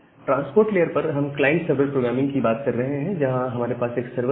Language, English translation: Hindi, So, at the transport layer, we are talking about a client server this programming